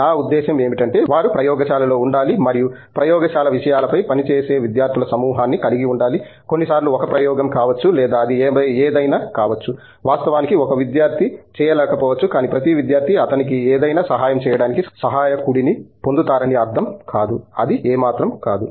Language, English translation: Telugu, I mean they must be in the lab and the lab has to have like a bunch of students working on things, may be some times 1 experiment or whatever it is, it may not be possible to actually be done by 1 student, but it does’nt mean that every student gets a helper to help him something, it dose’nt made sense at all